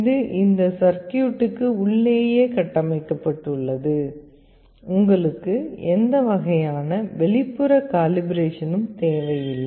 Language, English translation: Tamil, And this has all this circuitry built inside it, you do not need any kind of external calibration